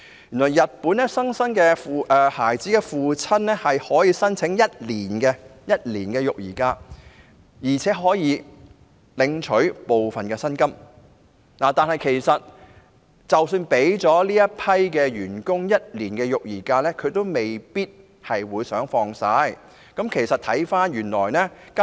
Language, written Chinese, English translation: Cantonese, 原來在日本，新生孩子的父親可以向公司申請1年的育兒假，而且可以領取部分的薪金，但其實即使日本的僱員享有這種福利，他們也未必想全數放取有關假期。, It strikes me that fathers of newborn babies in Japan can apply to their companies for one year parental leave on half pay . However even though Japanese employees can enjoy such a benefit they may not want to take all their entitled leave